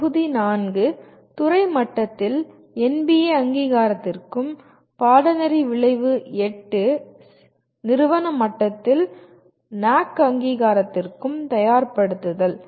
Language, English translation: Tamil, Module 4 prepare for NBA accreditation at the department level and CO8, course outcome 8 prepare for NAAC accreditation at the institute level